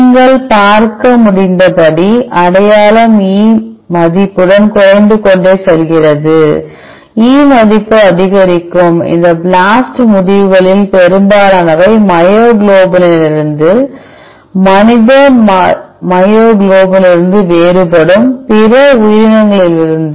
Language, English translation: Tamil, As you could seethe identity keeps on decreasing with E value, with E value increasing and most of this blasted results are from myoglobin, from other organisms which differs from the human myoglobin